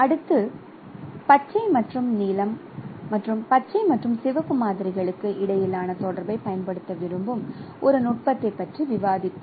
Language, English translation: Tamil, So, next we will be discussing about our technique where you would like to exploit the correlation between green and blue and green and red samples